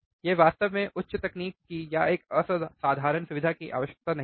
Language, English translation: Hindi, It does not really require high end technology or you know extraordinary facility